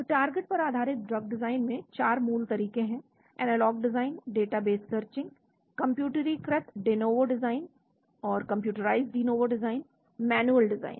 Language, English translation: Hindi, So there are 4 basic methods in target based drug design: analog design, database searching, computerized de novo design, manual design